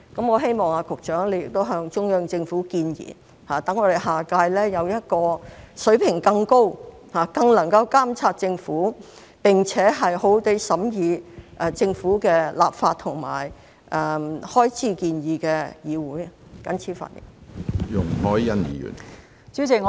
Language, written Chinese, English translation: Cantonese, 我希望局長向中央政府建議，讓我們下屆有一個水平更高，更能夠監察政府，並且好好地審議政府的立法和開支建議的議會，謹此發言。, I hope that the Secretary will make proposals to the Central Government so that we can have a legislature of a higher standard in the next term to better monitor the Government and scrutinize its legislative and financial proposals . I so submit